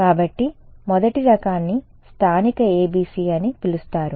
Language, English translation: Telugu, So, the first variety is what is what would be called local ABC ok